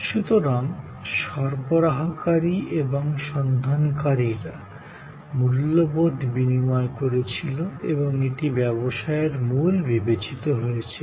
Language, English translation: Bengali, So, providers and seekers exchanged values and that was considered as the engine of business